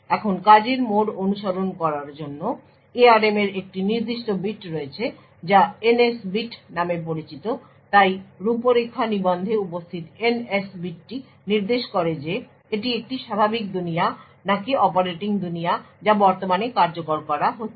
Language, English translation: Bengali, Now in order to keep track of the mode of operation the ARM has a particular bit known as the NS bit so the NS bit present in the configuration register indicates whether it is a normal world or the operating world that is currently being executed